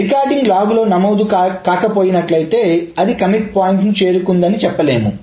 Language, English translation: Telugu, So if the recording in the log is not taken place, then it doesn't say to reach the commit point